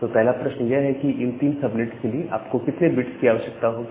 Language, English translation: Hindi, So, the first question comes that how many bits do you require to have three subnets